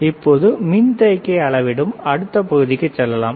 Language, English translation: Tamil, Let us move to the another part which is the capacitor